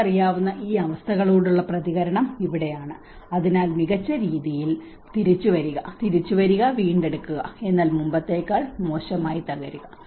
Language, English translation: Malayalam, And this is where the reaction to these disturbance you know so bounce back better, bounce back, recover but worse than before, collapse